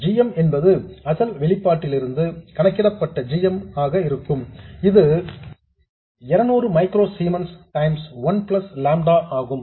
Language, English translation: Tamil, Similarly, GM will be the GM calculated from the original expression which is 200 microzemens times 1 plus lambda VDS